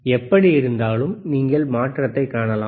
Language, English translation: Tamil, And you can see the change